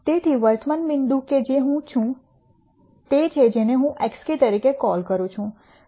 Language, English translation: Gujarati, So, the current point that I am at is what I would call as x k